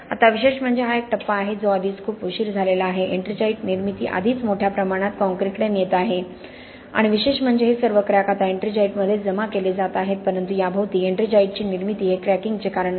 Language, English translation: Marathi, Now interestingly this is a stage which is already too late ettringite formation has already happened lead to massive cracking and interestingly all these cracks are now being deposited with ettringite, but the formation of ettringite around this is not the reason for the cracking